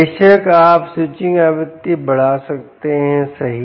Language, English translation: Hindi, of course, you could increase the switching frequency, right, you can